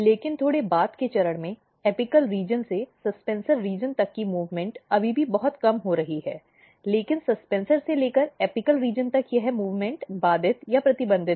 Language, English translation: Hindi, But at slightly later stage the, the movement from apical region to the suspensor region is still happening little bit, but this movement from suspensor to the apical region is inhibited or restricted